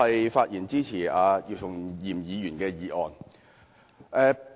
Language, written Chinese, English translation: Cantonese, 我發言支持姚松炎議員的議案。, I speak in support of Dr YIU Chung - yims motion